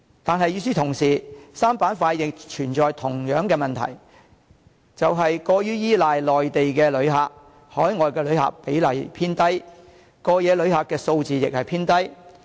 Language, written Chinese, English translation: Cantonese, 但是，與此同時 ，3 個板塊亦存在同樣的問題，就是過於依賴內地旅客，海外旅客比例偏低，過夜旅客數字亦偏低。, But the three places are facing the same problem which is their heavy reliance on Mainland tourists . Overseas tourists and overnight tourists are relatively small in proportion